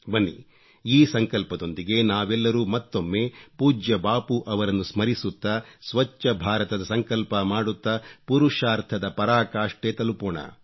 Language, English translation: Kannada, Let us all, once again remembering revered Bapu and taking a resolve to build a Clean India, put in our best endeavours